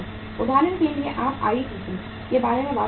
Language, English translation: Hindi, For example you talk about the ITC